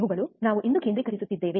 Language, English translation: Kannada, These are the things that we are focusing today